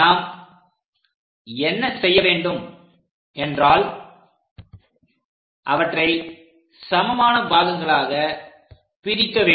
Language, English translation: Tamil, So, what we are going to do is divide into different number of parts